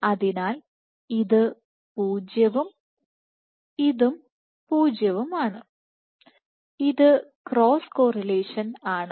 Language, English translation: Malayalam, So, this is 0, 0, this is cross correlation